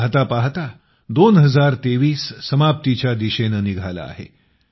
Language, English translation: Marathi, By and by, 2023 is moving towards its end